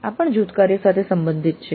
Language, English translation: Gujarati, This is also related to teamwork